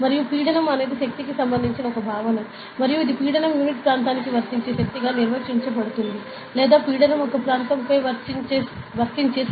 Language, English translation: Telugu, And pressure is a concept that is related with force and it is the pressure is defined as the force applied per unit area or the pressure is the force applied over an area